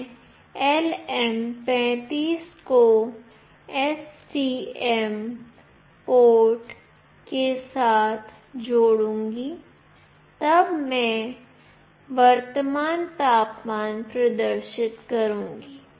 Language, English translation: Hindi, I will be connecting LM35 with ST microelectronics port and then I will be displaying the current temperature